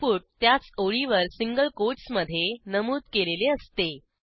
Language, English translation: Marathi, * The input is mentioned in the same line within single quotes